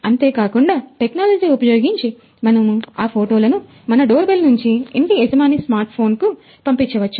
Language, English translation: Telugu, Through IoT technologies, we can send that image from our doorbell to the owner’s smart phone